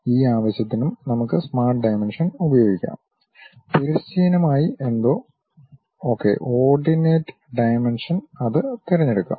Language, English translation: Malayalam, For that purpose also, we can use smart dimension there is something like horizontally ok Ordinate Dimensions let us pick that